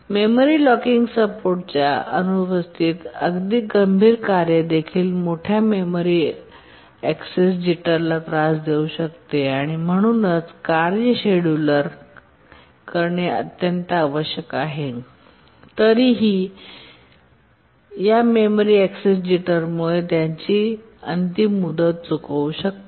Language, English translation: Marathi, In the absence of memory locking support, even the critical tasks can suffer large memory access jitter and therefore the task scheduling has to be extremely conservative and still the tasks may miss their deadline because of this memory access jitter